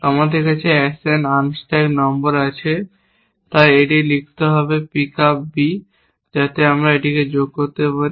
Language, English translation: Bengali, We have the action unstack no, so it be write here pick up B, so that I can add to this